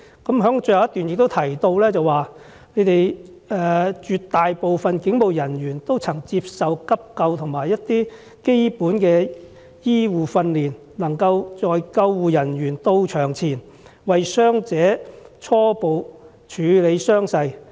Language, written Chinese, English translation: Cantonese, 他在最後一段更提到，"絕大部分警務人員都曾接受急救和一些基本的醫護訓練，能夠在救護人員到場前，為傷者初步處理傷勢"。, In the last paragraph he added that most police officers had received first aid and basic medical training and are able to provide preliminary treatment for injured persons before the arrival of ambulance personnel